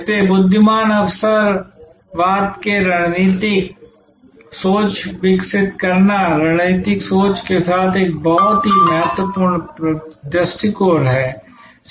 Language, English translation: Hindi, So, developing strategic thinking for intelligent opportunism is a very important approach to strategic thinking